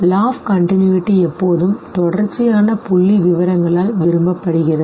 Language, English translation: Tamil, The law of continuity says that continuous figures are preferred by us